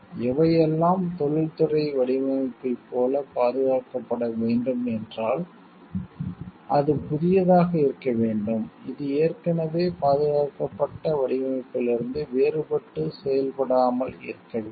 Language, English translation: Tamil, To be protected like what can be protected as industrial design is, it should be new; like, it should be different from design which is already protected, and should be non functional